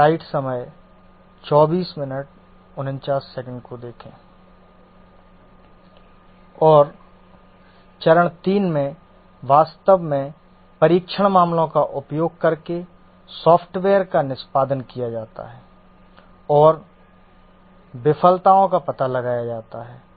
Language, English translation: Hindi, And in the step 3, actually carry out the execution of the software using the test cases and find out the failures